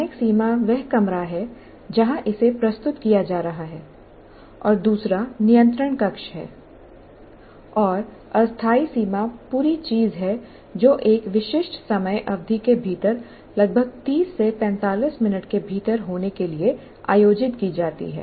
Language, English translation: Hindi, Spatial boundary is the room where it's being presented and the other one is a control room where that is a spatial boundary and temporal boundary is the whole thing is organized to happen within a certain time period